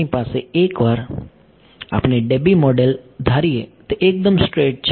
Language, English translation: Gujarati, We have, once we assume the Debye model, it is just straight